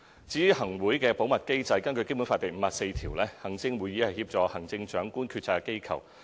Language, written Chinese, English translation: Cantonese, 有關行政會議的保密機制，根據《基本法》第五十四條，行政會議是協助行政長官決策的機構。, As regards the mechanism on confidentiality of the Executive Council under Article 54 of the Basic Law the Executive Council is an organ to assist the Chief Executive in policy - making